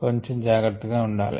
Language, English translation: Telugu, be a little careful